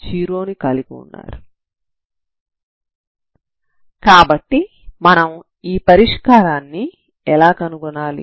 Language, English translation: Telugu, So how do we find this solution